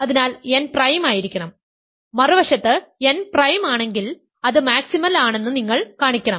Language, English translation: Malayalam, So, n must be prime; on the other hand, if n is prime you have to show that it is maximal